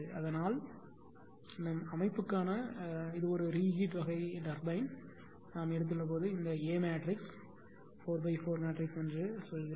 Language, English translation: Tamil, So; that means, this for this for our system when a re time re type turbine we have taken this a matrix actually is a you are have to call 4 into 4 matrix